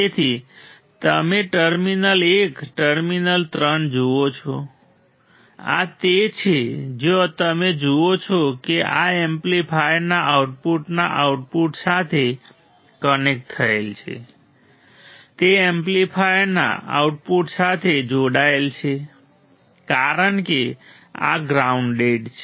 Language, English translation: Gujarati, So, you see terminal 1 terminal 3 right this is the you see where is connected this connected to the output of the amplifier right output of the amplifier because this is grounded right